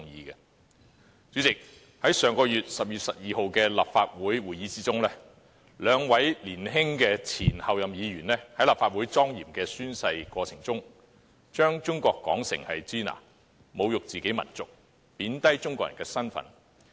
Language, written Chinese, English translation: Cantonese, 代理主席，在10月12日的立法會會議上，兩位年輕的前候任議員在莊嚴的立法會宣誓過程中，把中國說成"支那"，侮辱自己民族，貶低中國人的身份。, Deputy President at the Legislative Council meeting on 12 October two young former Members - elect pronounced China as Shina at the solemn oath - taking ceremony of the Legislative Council . They insulted their own nation and belittled the status of the Chinese people